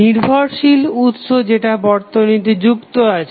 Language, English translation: Bengali, The dependent source which is connected to the network